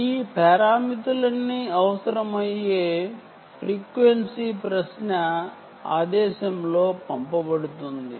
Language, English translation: Telugu, all these parameters are sent out in the query command